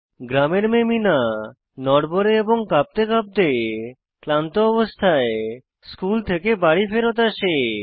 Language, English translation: Bengali, The village girl Meena returned home from school feeling shaky and shivery and looked tired